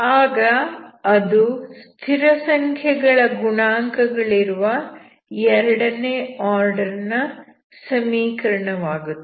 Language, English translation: Kannada, Then it will become the second order equation, with constant coefficients, okay